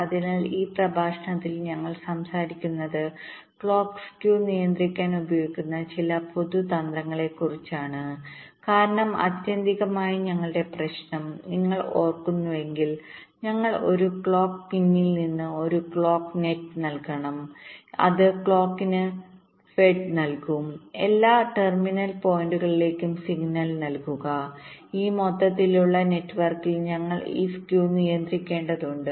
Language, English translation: Malayalam, so in this lecture we shall be talking about some general strategies used to control the clock skew, because ultimately our problem, if you recall, we said that from a clock pin we have to layout a clock net which will be feeding the clock signal to all the terminal points and we have to control this skew in this overall network